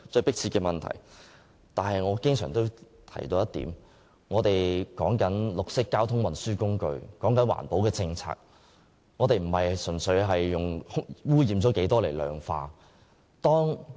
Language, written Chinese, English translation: Cantonese, 不過，我經常提出一點，便是我們就綠色交通運輸工具及環保政策的討論不應純粹將污染問題量化。, But I have always raised one point the point that we should not purely quantify the pollution problem in our discussion on a green mode of transport and the environmental policy